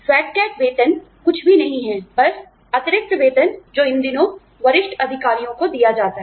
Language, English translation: Hindi, Fat cat pay is nothing but, the exorbitant salaries, that are given to senior executives, these days